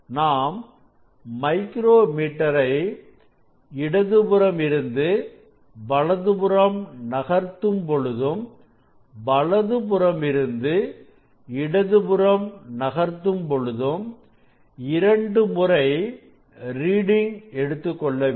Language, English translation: Tamil, both reading we will take twice when we will move the micrometer from left to right and again right to left, and we will find out the average